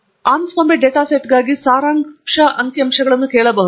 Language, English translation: Kannada, So, we could ask for the summary statistics for the Anscombe data set